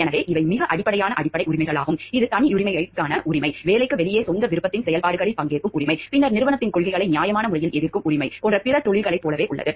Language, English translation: Tamil, So, they these are very basic fundamental rights like the which is same as any other profession like it is the right to privacy, right to participate in activities of one’s own choosing outside of the work, then the right to reasonably object to company’s policies without fear of retribution and the right to due process